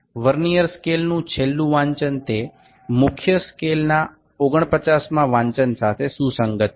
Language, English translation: Gujarati, The last reading on the Vernier scale is coinciding with the 49th reading of the main scale